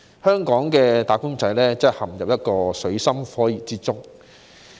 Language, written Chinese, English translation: Cantonese, 香港的"打工仔"真的陷入水深火熱之中。, Wage earners in Hong Kong are honestly in a dire situation